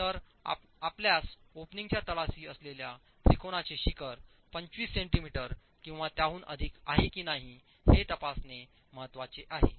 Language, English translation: Marathi, So what is important is for you to check whether the apex of the triangle to the bottom of the opening is within 25 centimeters or more